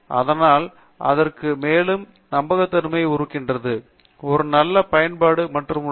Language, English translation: Tamil, Therefore, there is more credibility to it and there is a nice user forum